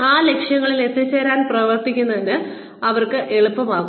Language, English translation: Malayalam, It becomes easier for them, to work towards, reaching those goals